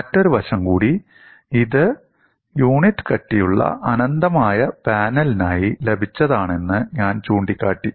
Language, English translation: Malayalam, Another aspect also, I pointed out that this is obtained for an infinite panel of unit thickness